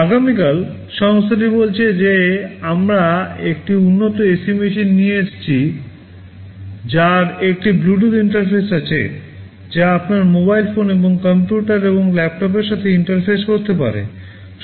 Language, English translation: Bengali, Tomorrow the company says that we have come up with a better AC machine that has a Bluetooth interface, which can interface with your mobile phones and computers and laptops